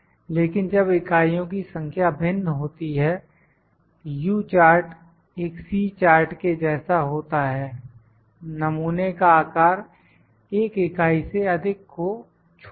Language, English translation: Hindi, But when the number of units are different, U chart is like a C chart except the sample size is greater than one unit